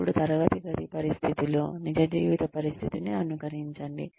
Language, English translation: Telugu, Then, simulate the real life situation, within the classroom situation